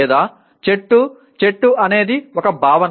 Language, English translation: Telugu, Or like a tree, tree is a concept